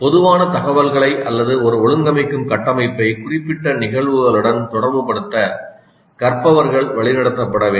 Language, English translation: Tamil, Learners should be guided to relate the general information or an organizing structure to specific instances